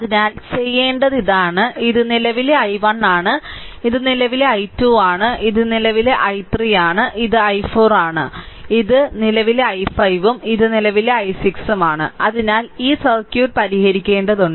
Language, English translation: Malayalam, And therefore, what we have to do is, that look this is the current i 1 right this is current i 2 this is current i 3 this is i 4 this is current i 5 and this is current i 6 right so, you have to solve this circuit